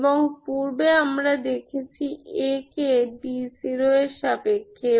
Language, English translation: Bengali, And earlier we have seen A also in terms of d naught